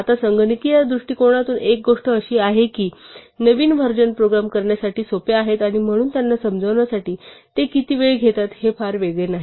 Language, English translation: Marathi, Now one thing from a computational point of view, is that though the newer versions are simpler to program and therefore to understand, the amount of time they take is not very different